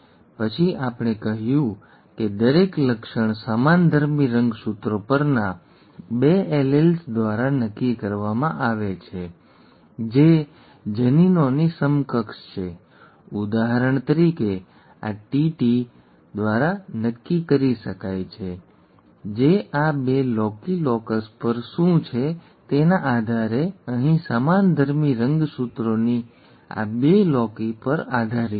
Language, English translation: Gujarati, Then we said that each trait is determined by two alleles on homogenous, homologous chromosomes which are the equivalent of genes; for example, this could be determined by TT capital that, capital T small t, small t capital T or small tt, depending on what is present on these two loci, locus here, these two loci of the homologous chromosomes